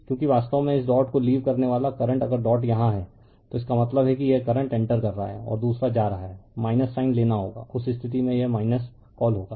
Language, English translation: Hindi, Because current actually leaving this dot if dot is here means this current is entering and another is leaving you have to take the minus sign, in that case it will be your what you call minus